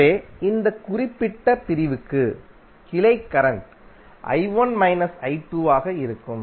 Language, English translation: Tamil, So for this particular segment the branch current would be I1 minus I2